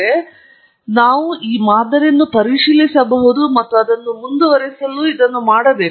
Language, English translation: Kannada, Now, we can examine this model and we should do it to proceed further